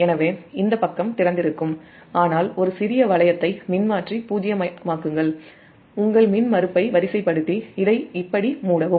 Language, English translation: Tamil, this side will remain open, but make a small loop, make the transformer zero sequence, your impedance, and just close it like this